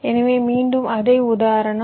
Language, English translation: Tamil, ok, so again the same example